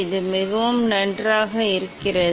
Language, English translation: Tamil, It is really nice